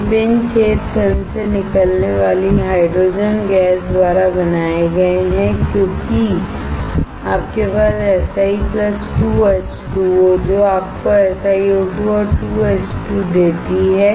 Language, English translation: Hindi, These pin holes are created by the hydrogen gas coming out of the film because, you have Si + 2H2O to give SiO2 and 2H2